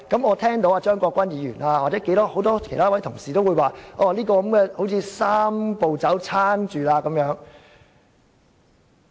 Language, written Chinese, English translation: Cantonese, 我聽到張國鈞議員和很多同事也指出，這樣，"三步走"便獲得支撐。, I have heard Mr CHEUNG Kwok - kwan and many Honourable colleagues point out that the Three - step Process is well supported in this way